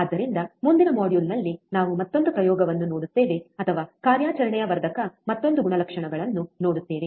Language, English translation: Kannada, So, in the next module, we will see another experiment, or another characteristics of an operational amplifier